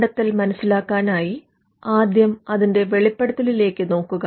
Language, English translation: Malayalam, To look for an invention, the first thing is to look for a disclosure